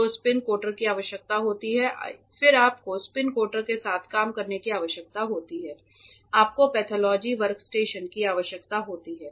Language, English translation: Hindi, So, spin coater is required then you need to work with the spin coater you need a workstation pathology workstation